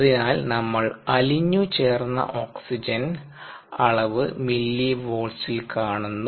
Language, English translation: Malayalam, so the dissolved oxygen concentration is directly proportional to the millivolts value